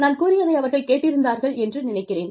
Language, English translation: Tamil, I think, they heard me